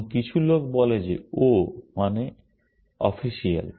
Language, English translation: Bengali, And some people say that O stands for official